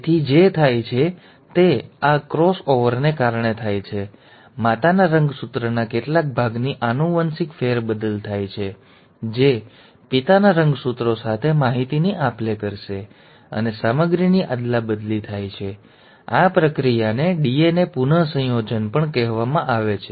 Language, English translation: Gujarati, So what happens is because of this cross over, there is a genetic shuffling of some part of the mother’s chromosome will exchange information with the father’s chromosome, and there is an interchange of material; this process is also called as DNA recombination